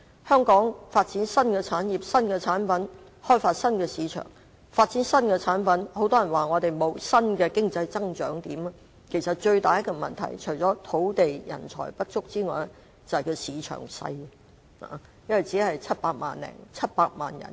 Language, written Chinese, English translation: Cantonese, 香港要發展新產業、新產品、開發新市場、發展新產品，但很多人說香港沒有新的經濟增長點，其實除了土地、人才不足之外，最大的問題是市場小，因為香港人口始終只有700多萬人。, Hong Kong needs to develop new industries new products and new markets but many people say that Hong Kong lacks new areas of economic growth . In fact apart from lacking land and talent the biggest problem is the small size of our market . After all Hong Kong only has a population of 7 million - plus